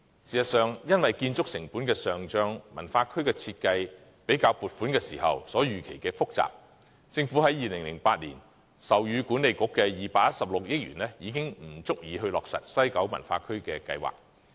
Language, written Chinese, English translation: Cantonese, 事實上，因為建築成本的上漲，西九文化區的設計又較撥款時所預期的複雜，政府在2008年授予西九管理局的216億元已經不足以落實計劃。, In fact because of a rise in construction cost and the design complexity of WKCD which was underestimated when funding was granted the 21.6 billion allocated to WKCD Authority in 2008 is now insufficient to execute the project